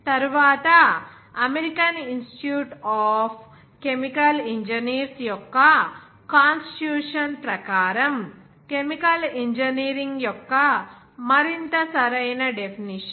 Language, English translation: Telugu, And later on, a more appropriate definition of chemical engineering as per the constitution of the American Institute of chemical engineers